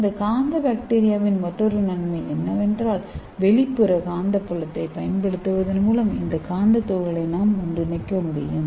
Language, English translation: Tamil, And another advantage of this magnetic bacteria is we can assemble this magnetic particles by applying external magnetic field